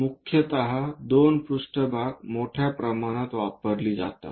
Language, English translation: Marathi, Mainly two planes are widely used